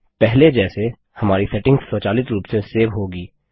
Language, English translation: Hindi, As before, our settings will be saved automatically